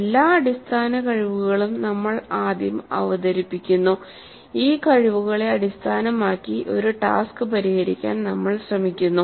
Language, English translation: Malayalam, So we present first all the basic skills then we try to solve a task based on these competencies